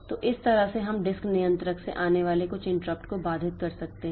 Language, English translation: Hindi, So, that way we can have some interrupt coming from the disk controller